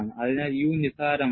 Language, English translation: Malayalam, So, U is also negligible